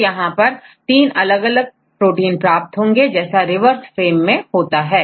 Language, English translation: Hindi, So, in this case you will get the three different proteins, likewise in the reverse frame